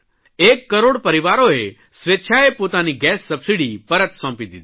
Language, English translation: Gujarati, One crore families have voluntarily given up their subsidy on gas cylinders